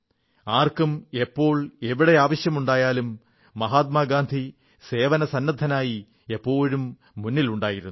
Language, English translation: Malayalam, Whoever, needed him, and wherever, Gandhiji was present to serve